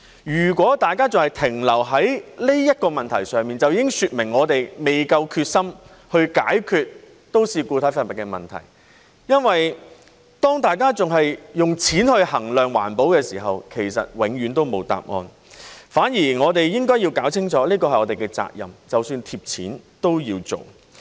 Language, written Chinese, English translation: Cantonese, 如果大家還是停留在這個問題上，便已經說明我們未夠決心去解決都市固體廢物的問題，因為當大家還是用錢衡量環保的時候，其實永遠都沒有答案，反而我們應該要搞清楚這是我們的責任，即使貼錢都要做。, If we still continue to ponder this question it shows that we are not determined enough to tackle the MSW problem . It is because if we still measure environmental protection in monetary terms actually there will never be an answer . Instead we should understand clearly that this is our duty and we must go ahead with it even though extra money will have to be paid